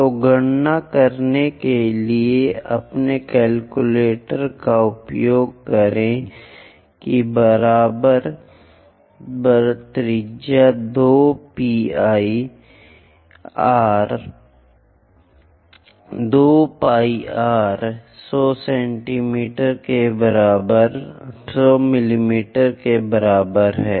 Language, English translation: Hindi, So, use your calculator to calculate what is the equivalent radius 2 pi r is equal to 100 mm